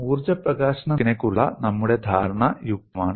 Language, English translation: Malayalam, Our understanding of energy release rate is reasonably okay